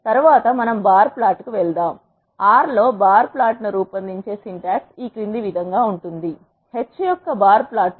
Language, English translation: Telugu, Next we move on to the bar plot, the syntax to generate bar plot in R is as follows; bar plot of h